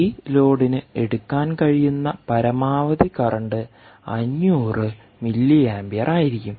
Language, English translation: Malayalam, basically, right, maximum current that this load can draw will be, ah, five hundred milliamperes